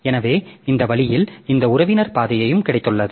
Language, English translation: Tamil, So, that way we have got this relative path also